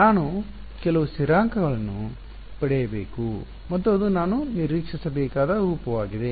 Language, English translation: Kannada, I should get some constants and H that is the form I should expect